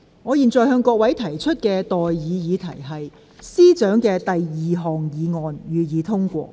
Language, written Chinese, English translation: Cantonese, 我現在向各位提出的待議議題是：政務司司長動議的第二項議案，予以通過。, I now propose the question to you and that is That the second motion moved by the Chief Secretary for Administration be passed